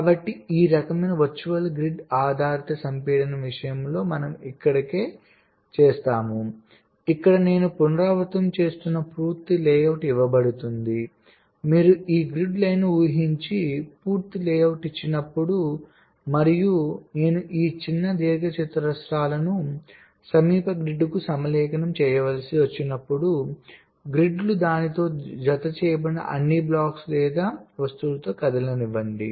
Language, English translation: Telugu, so this is exactly what we do here in case of ah, this kind of virtual grid based compaction where, given a complete layout which i am repeating, given the complete layout you imagine grid lines and as when i am required to align this small rectangles to the nearest grid, then let the grids move with all the attached blocks or objects with it